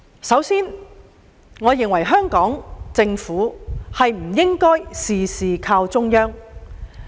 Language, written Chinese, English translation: Cantonese, 首先，我認為香港政府不應事事倚靠中央。, First of all I think the Hong Kong Government should not rely on the Central Authorities for everything